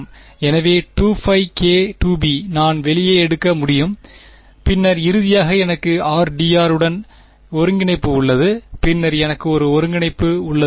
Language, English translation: Tamil, So, 2 pi k squared b I can take out and then finally, I have an integral of r d r right and then, I have an integral